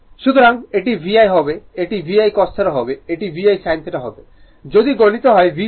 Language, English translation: Bengali, So, this will be VI this will be VI cos theta this will be VI sin theta if you multiply by V